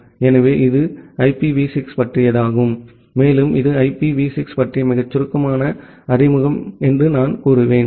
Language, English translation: Tamil, So, that is all about IPv6 and I will say that it is a very brief introduction about IPv6 there are much more details